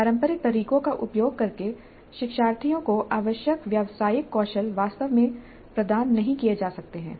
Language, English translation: Hindi, The professional skills required cannot be really imparted to the learners using the traditional methods